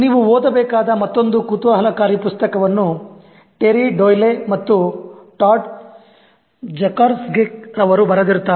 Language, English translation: Kannada, Another interesting book that you should read is written by Terry Doyle and Todd Jackrasek